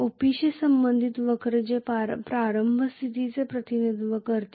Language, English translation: Marathi, The curve which is corresponding to OP that represents the initial condition